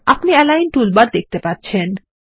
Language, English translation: Bengali, You will see the list of toolbars